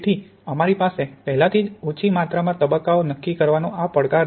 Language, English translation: Gujarati, So we already have this challenge of trying to determine small amounts of phases